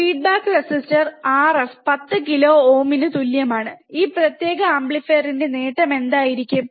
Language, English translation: Malayalam, Feedback resistor R f equals to 10 kilo ohm, what will be the gain of this particular amplifier